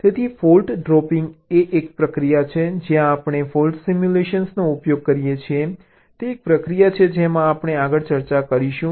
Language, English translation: Gujarati, so fault dropping is a process where we use fault simulation is a process we shall be discussing next